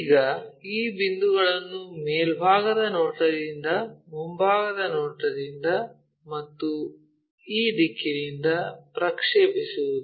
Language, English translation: Kannada, Now, project these points all the way from top view on the from the front view and also from this direction